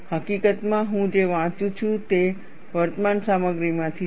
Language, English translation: Gujarati, In fact, what I am reading is from Current Contents